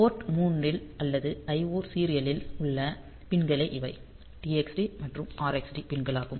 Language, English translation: Tamil, So, these are the pins on the serial I O on port 3; so, TXD and RXD pins